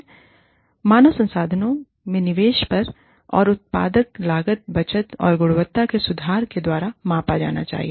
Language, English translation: Hindi, Return on investment in human resources, should be measured by, improvements in productivity, cost savings, and quality